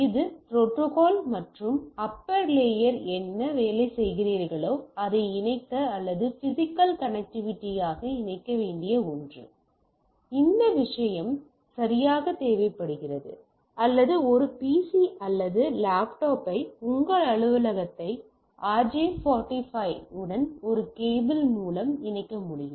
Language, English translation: Tamil, So, this is something which is need to be connected or physically connected whatever your protocol and whatever you are working at the upper layer, this thing is needed right or you can connect your PC or laptop through a cable if you are having a connection in your office with RJ 45 through a cable